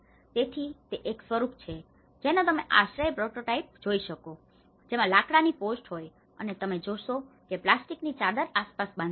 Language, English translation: Gujarati, So, that is one of the form which you can see a shelter prototype which has a timber post and as you see plastic sheets has been tied around